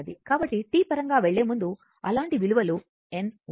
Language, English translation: Telugu, So, if you have some n such value before going to the in terms of T